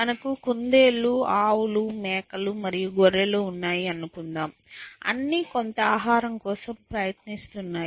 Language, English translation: Telugu, So, let us say we have rabbits and cows and goats and sheep, all trying to go for some